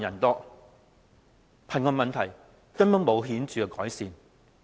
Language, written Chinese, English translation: Cantonese, 可見，貧窮問題根本沒有顯著改善。, The poverty problem in fact has not been improved in any significant measure